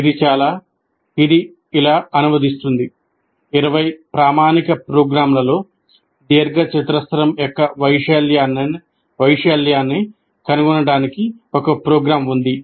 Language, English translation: Telugu, Essentially translate like this, you write out of the 20 standard programs, there is one program to find the area of a rectangle